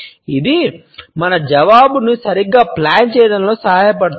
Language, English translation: Telugu, It can help us in planning our answer properly